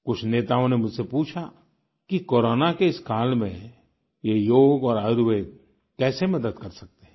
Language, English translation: Hindi, Many leaders asked me if Yog and Ayurved could be of help in this calamitous period of Corona